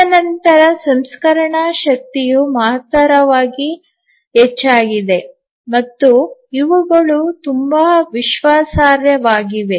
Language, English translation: Kannada, And then the processing power has tremendously increased and also these are become very very reliable